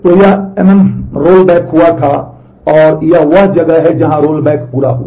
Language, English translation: Hindi, So, this mm rollback had happened and this is where the rollback is complete